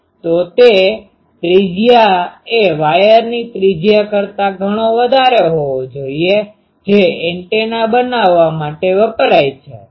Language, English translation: Gujarati, So, that radius is much should be much larger than the radius of the wires which are used to make that antenna